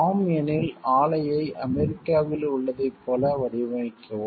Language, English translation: Tamil, If it is yes, then the design the plant as in US